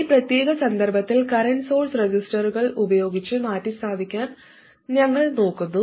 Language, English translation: Malayalam, In this particular context we are looking at replacing current sources by resistors